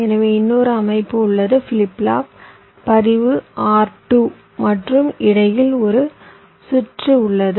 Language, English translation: Tamil, so i have another setup, flip flop, register r two, and there is a combination of circuit in between